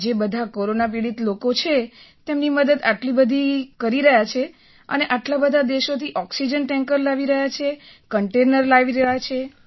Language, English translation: Gujarati, Feel very proud that he is doing all this important work, helping so many people suffering from corona and bringing oxygen tankers and containers from so many countries